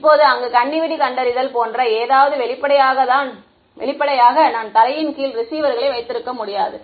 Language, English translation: Tamil, Now for something like landmine detection there; obviously, I cannot have receivers under the ground